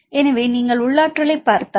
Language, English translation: Tamil, So, if you look into the internal energy